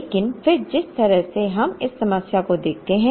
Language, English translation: Hindi, But, then the way we look at this problem